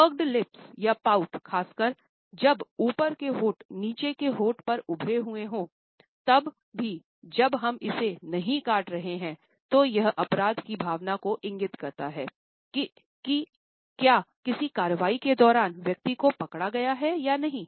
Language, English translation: Hindi, Puckered lips and pout, particularly when the top lip has protruding over the bottom lip, then even though we are not biting it then it indicates a feeling of guilt whether an individual has been caught or not during the action